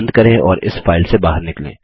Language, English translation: Hindi, Lets close and exit this file